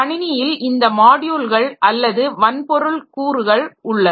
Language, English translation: Tamil, The modules that are or the hardware components that we have in the system